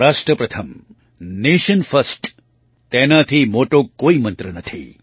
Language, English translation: Gujarati, Rashtra Pratham Nation First There is no greater mantra than this